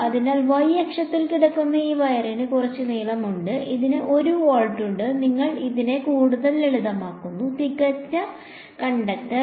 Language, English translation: Malayalam, So, this wire which is lying along the y axis it has some length L, it has 1 volt you make it even simpler perfect conductor